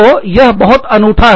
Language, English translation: Hindi, So, that is something, that is very unique